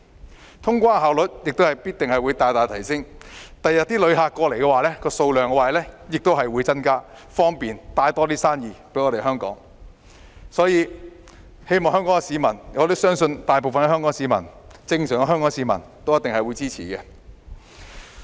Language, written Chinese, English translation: Cantonese, 此外，通關效率必定會大大提升，他日來港旅客的人數亦會增加，為香港帶來更多生意，所以我相信大部分正常的香港市民都一定會支持。, With increased clearance efficiency the number of travellers coming to Hong Kong will rise correspondingly thereby bringing more businesses to Hong Kong . I believe that most ordinary Hong Kong people will support it